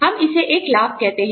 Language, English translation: Hindi, We call it a benefit